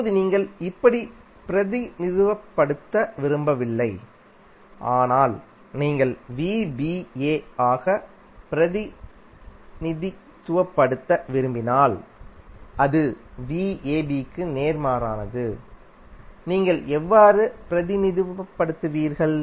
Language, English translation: Tamil, Now, if you do not want to represent in this form simply you want to represent in the form of v ba that is opposite of that how you will represent